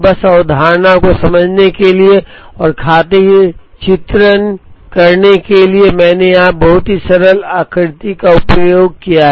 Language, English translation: Hindi, Just for the sake of understanding the concept and for the sake illustration, I have used a very simple figure here